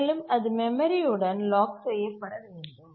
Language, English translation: Tamil, It should be locked to the memory